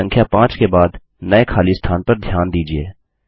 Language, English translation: Hindi, Notice the new gap after the number 5